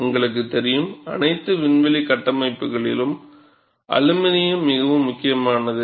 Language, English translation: Tamil, And you know, for all aerospace structures, aluminum is very important